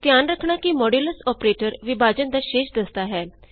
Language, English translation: Punjabi, Please note that Modulus operator finds the remainder of division